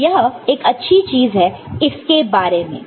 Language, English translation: Hindi, So, that is one good thing about it